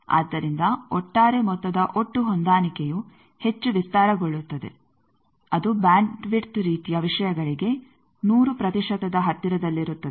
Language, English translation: Kannada, So, the overall sum total match that will be much broadened very near to 100 percent bandwidth sort of things